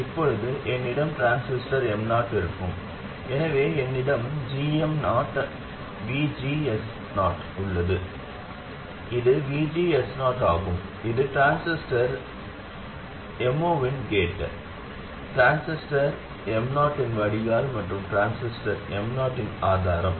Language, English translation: Tamil, So I have GM0 VGS0 where this is VGS0 and this is gate of transistor M0, drain of transistor M0 and source of transistor M0